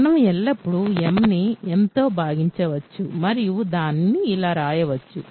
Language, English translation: Telugu, We can always divide m by n and we can write it like this